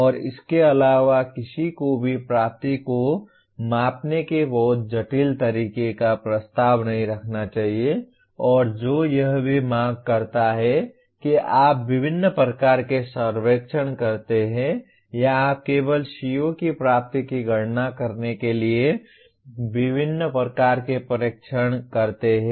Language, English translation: Hindi, And in addition to that one should not keep proposing very complicated way of measuring attainment and which also demands that you conduct different kinds of surveys or you conduct different type of tests to merely compute the attainment of a CO